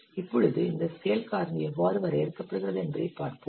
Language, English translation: Tamil, Now let's see how this scale factor is refined